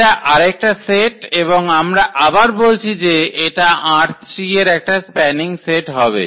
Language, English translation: Bengali, This is another set and then again we are claiming that this form is spending set of this R 3